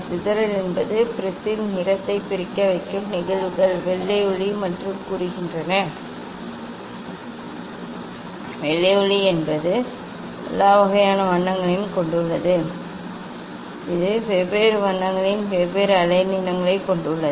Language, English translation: Tamil, Dispersion is the phenomena which gives the separation of colour in prism say white light; white light means it has all sorts of colour it consists of different many wavelengths means of different colour